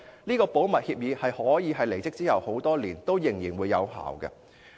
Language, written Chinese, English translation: Cantonese, 這項保密協議可以是她離職多年後仍然有效的。, The confidentiality agreement can remain in force many years after her department